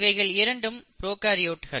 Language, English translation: Tamil, Both of them are prokaryotes